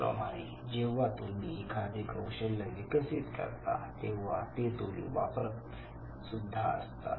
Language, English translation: Marathi, Similarly once you learn a skill, once you acquire a skill and then you finally use it